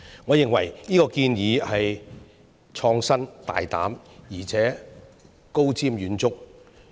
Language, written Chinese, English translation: Cantonese, 我認為這個建議創新、大膽、而且高瞻遠矚。, I find this proposal innovative audacious and far - sighted